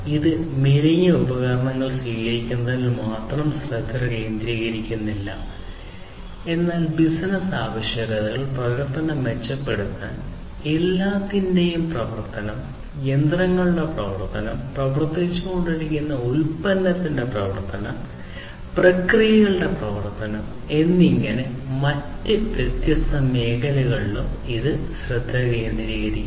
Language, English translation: Malayalam, And it does not focus on just the adoption of the lean tools, but also it focuses on different other areas such as business requirements, operation improvement, operation of everything, operation of the machinery, operation of the product being developed, operation of the processes